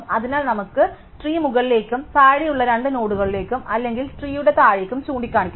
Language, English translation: Malayalam, So, we will can point up the tree and to the two nodes below it or down the tree